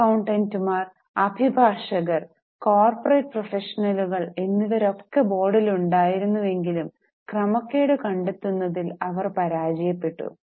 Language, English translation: Malayalam, Several respectable people like accountants, lawyers or corporate professionals were on the board, but they failed to detect the malpractices